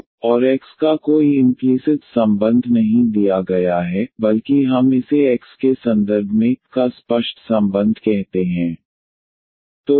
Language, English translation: Hindi, So, there is no implicit relation of y and x is given, but rather we call this as a explicit relation of y in terms of x